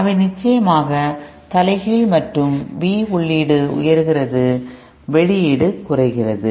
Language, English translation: Tamil, They are of course inverted and V input is rising we output is decreasing